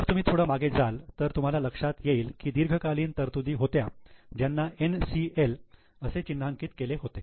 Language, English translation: Marathi, If you go back, you will realize that there were long term provisions given earlier, marked as NCL